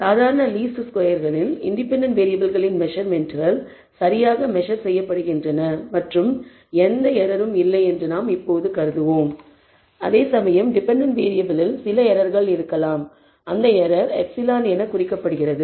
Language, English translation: Tamil, In ordinary least squares we always assume that the independent variable measurements are perfectly measured and do not have any error whereas, the dependent variable may contain some error and that error is indicated as epsilon